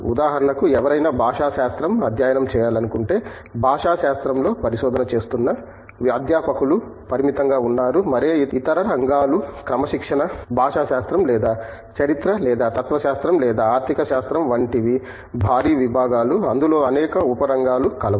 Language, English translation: Telugu, For example, if someone wants to come to study linguistics, there are limited numbers of people in terms of faculty doing research in linguistics and like any other discipline linguistics or history or philosophy or economics they are huge disciplines, they are several sub areas in that